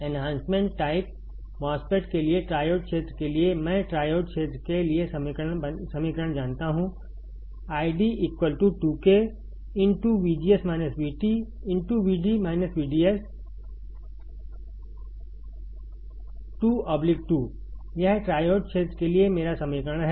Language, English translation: Hindi, For enhancement type MOSFET, for triode region, I know the equation for triode region I D equals to 2 times K into bracket V G S minus V T into V D S minus V D S square by two bracket over; this is my equation for triode region